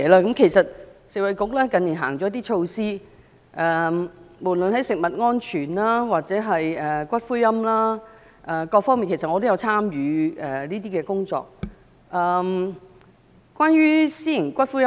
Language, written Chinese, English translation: Cantonese, 近年食衞局推出幾項措施，無論在食物安全或骨灰龕各方面我也有參與工作。, For the several measures introduced by the Food and Health Bureau like those on food safety or columbarium facilities in recent years I have participated in related work